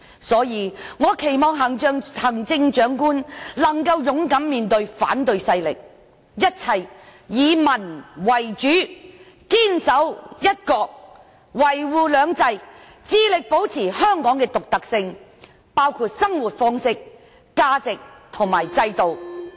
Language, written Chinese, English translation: Cantonese, 所以，我期望行政長官能夠勇敢面對反對勢力，一切以民為主，堅守"一國"，維護"兩制"，致力保持香港的獨特性，包括生活方式、價值和制度。, Therefore I hope the next Chief Executive can face the opposition with courage put the people first firmly uphold one country safeguard two systems and endeavour to maintain Hong Kongs uniqueness including our way of life values and systems